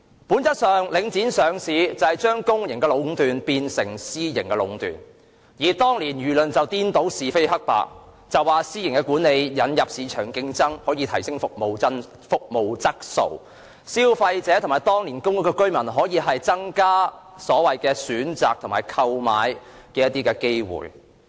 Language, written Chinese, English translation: Cantonese, 本質上，領匯上市是將公營壟斷變成私營壟斷，但當年的輿論卻顛倒是非黑白，指私營管理可引入市場競爭，提升服務質素，更可增加消費者和公屋居民的選擇和購物機會。, By nature the listing of The Link REIT turned public monopoly into private monopolization . However the public opinions back then confounded right and wrong saying that private management would introduce competition into the market enhance the quality of services and increase the choices and shopping opportunities for consumers and residents of public housing